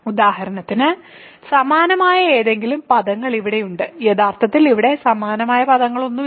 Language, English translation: Malayalam, So, that for example, here are there any like terms actually there are no like terms here